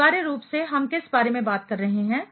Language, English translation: Hindi, What essentially we are talking about